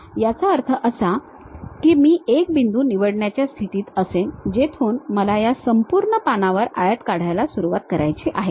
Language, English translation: Marathi, That means I will be in a position to pick one point from where I have to begin rectangle on entire page